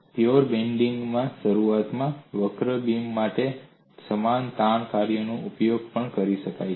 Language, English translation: Gujarati, The same stress function could also be used for initially curved beam in pure bending